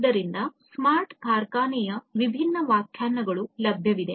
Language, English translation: Kannada, So, there are different different definitions of smart factory that is available